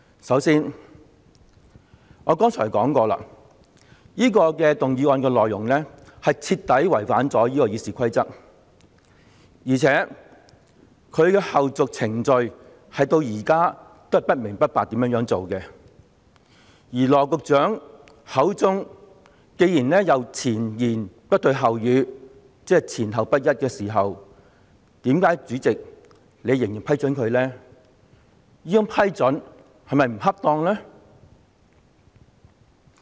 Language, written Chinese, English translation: Cantonese, 首先，我剛才已說過，這項議案的內容所提出的要求，徹底違反了《議事規則》，而且，它的後續程序至今仍是不明不白，加上羅局長前言不對後語——即說法前後不一——主席，為何你仍要批准他動議這項議案呢？, Firstly as I said just now the request put forward in this motion is in complete violation of RoP and the subsequent procedures relating to it remains unclear as yet . Coupled with Secretary Dr LAWs contradictory remarks I mean inconsistent claim President why did you still allow him to move this motion?